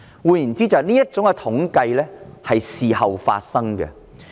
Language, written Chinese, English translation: Cantonese, 換言之，這些統計調查是事後進行的。, In other words these surveys are conducted after they have come to Hong Kong